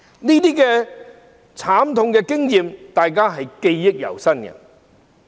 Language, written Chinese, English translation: Cantonese, 這些慘痛經驗大家也是記憶猶新的。, These painful experiences are still fresh in our minds